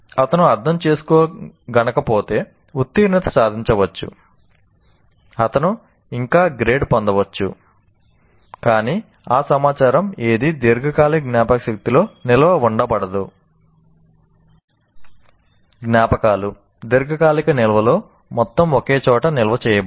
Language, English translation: Telugu, If he doesn't find meaning, you may pass, you may get still a grade, but none of that information will get stored in the long term memory